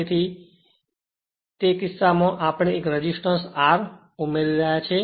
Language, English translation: Gujarati, So, in that case we are adding 1 resistance R right